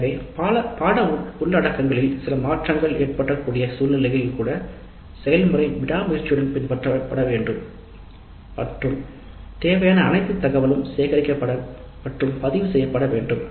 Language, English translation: Tamil, Thus, even in situations where there are likely to be some changes in the course contents, the process should be followed diligently and all the data required is collected and recorded